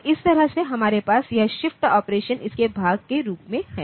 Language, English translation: Hindi, So, that way we can have this shift operation as a part of it